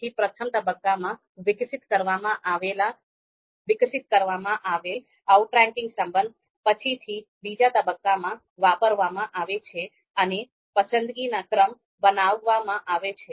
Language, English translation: Gujarati, So whatever outranking relation that we have constructed in the first phase, they are later on exploited in the second stage and a preference order is produced